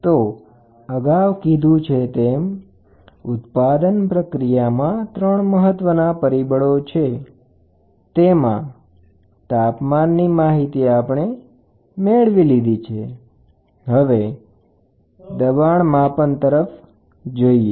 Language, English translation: Gujarati, So, as I told you earlier in manufacturing 3 parameters, one is temperature which we have covered next pressure